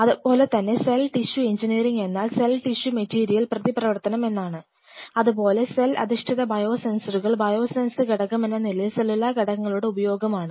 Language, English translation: Malayalam, Similarly cell tissue engineering the major thrust area is cell tissue material interaction, cell based biosensors is mostly cellular component as biosensor element